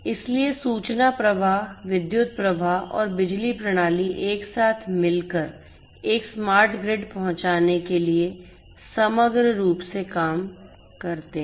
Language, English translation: Hindi, So, information flow, power flow and power system together holistically works to offer to deliver a smart grid